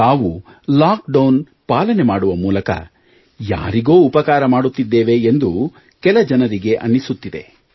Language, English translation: Kannada, Some may feel that by complying with the lockdown, they are helping others